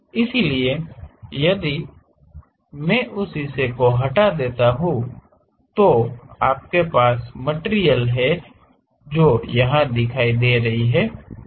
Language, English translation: Hindi, So, if I remove that part visually, you have material which is visible here